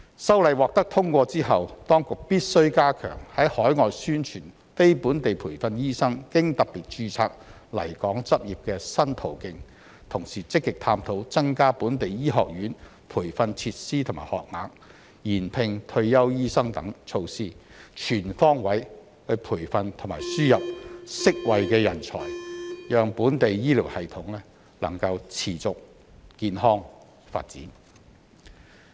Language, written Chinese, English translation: Cantonese, 修例獲得通過後，當局必須加強在海外宣傳非本地培訓醫生經"特別註冊"來港執業的新途徑，同時積極探討增加本地醫學院培訓設施和學額、延聘退休醫生等措施，全方位培訓和輸入適位的人才，讓本地醫療系統能持續健康發展。, After the passage of the Bill the authorities must step up overseas publicity on the new pathways for NLTDs to practise in Hong Kong through special registration and at the same time actively explore measures such as increasing the training facilities and places of local medical schools and extending the employment of retired doctors so as to train and import suitable talents on all fronts thereby enabling the sustainable and healthy development of the local healthcare system